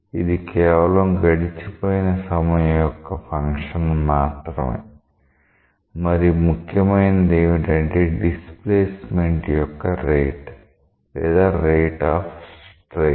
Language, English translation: Telugu, It is just a function of the time that has elapsed; what is more important is the rate of deformation or the rate of strain